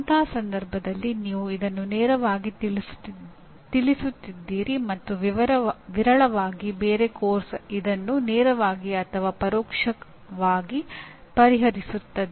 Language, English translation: Kannada, In that case you are directly addressing and very rarely any other course directly or indirectly addresses this